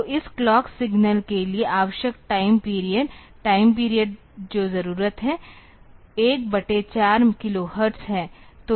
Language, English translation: Hindi, So, the required time period for this clock signal; time period needed is 1 upon 4 kilohertz